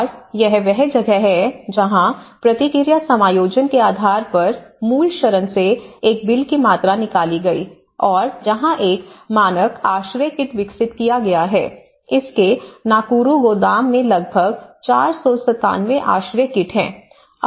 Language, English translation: Hindi, And this is where based on the feedback, based on some adjustments; a bill of quantity has been derived from the prototype shelter and where a standard shelter kit has been developed, about 497 shelter kits in its Nakuru warehouse